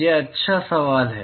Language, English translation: Hindi, That is a good question